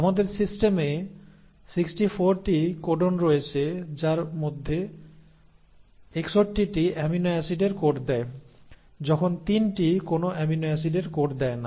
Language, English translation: Bengali, And there are 64 codons in our system out of which, 61 of them code for amino acids, while 3 of them do not code for any amino acid